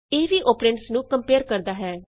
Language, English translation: Punjabi, This too compares the operands